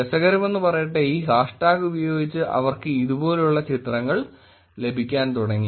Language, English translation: Malayalam, Interestingly, with this hash tag they started getting pictures like this